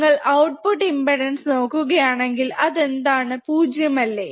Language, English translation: Malayalam, So, if you again see output impedance, output impedance ideally it should be 0, right